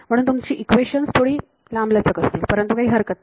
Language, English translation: Marathi, So, your system of equations becomes a little bit larger, but it does not matter much ok